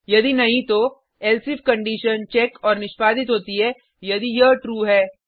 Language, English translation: Hindi, If not, then the else if condition is checked and executed if it is true